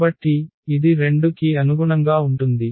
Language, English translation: Telugu, So, this is corresponding to 2